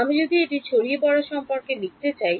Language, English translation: Bengali, If I wanted to write this dispersion relation for